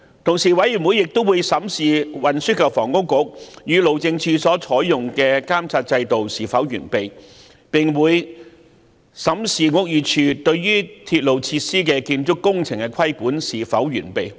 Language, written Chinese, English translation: Cantonese, 調查委員會亦會檢視運輸及房屋局與路政署所採用的監察制度是否完備，並會審視屋宇署對鐵路設施建築工程的規管是否完備。, The Commission of Inquiry will also examine the adequacy of the monitoring mechanisms adopted by the Transport and Housing Bureau and the Highways Department and whether adequate control has been exercised by the Buildings Department over construction works undertaken in respect of railway facilities